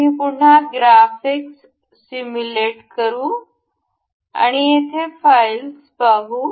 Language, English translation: Marathi, We will again simulate the graphics and we can see the file over here